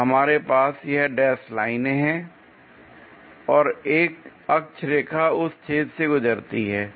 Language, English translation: Hindi, So, we have these dashed lines and an axis line pass through that hole